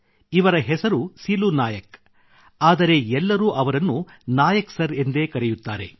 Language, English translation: Kannada, Although his name is Silu Nayak, everyone addresses him as Nayak Sir